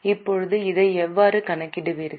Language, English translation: Tamil, Now how will you calculate this